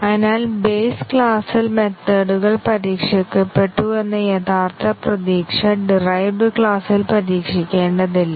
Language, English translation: Malayalam, So, the original hope that the methods have been tested at base class will not have to be tested in the derived class is not true